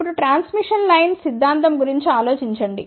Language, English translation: Telugu, Now, think about the transmission line theory